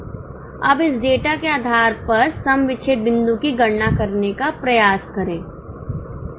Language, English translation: Hindi, Now, based on this data, try to calculate the break even point